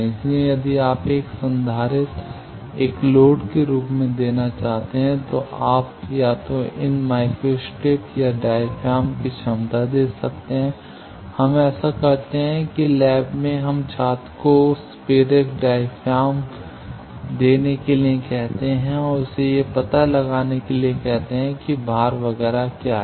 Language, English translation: Hindi, So, if you want give a capacitor as a load you can give either these micro strip or a capacity of diaphragm, we do that in the lab, we ask the student give that inductive diaphragm and ask him to find out what is the load etcetera